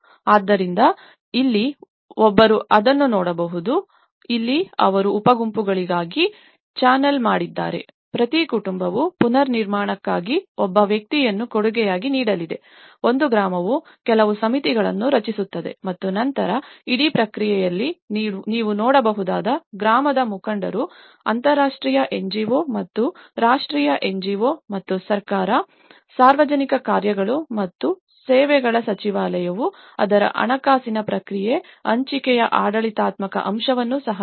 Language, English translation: Kannada, So, here, what one can look at it is; like here they channelled into subgroups, each family is going to contribute one person for the reconstruction that way, one village will form certain committees and then in that whole process, you can see that village leaders in collaboration with international NGO and the national NGO and as the government, the Ministry of Public Works and Services who also looked at the financial process of it, the shared administrative aspect